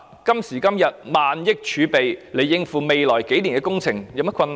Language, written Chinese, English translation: Cantonese, 今時今日，政府用萬億元儲備來應付未來數年的工程，也沒有甚麼困難。, Nowadays the Government can easily cope with the works projects in the next few years drawing down its thousands of billions of dollars in reserve